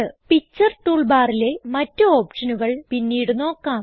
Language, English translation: Malayalam, There are other options on the Picture toolbar which we will cover later